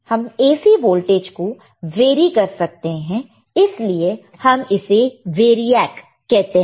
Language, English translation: Hindi, We can vary the AC voltage that is why it is called variac